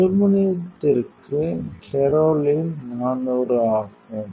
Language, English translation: Tamil, For aluminum, Kerolin is 400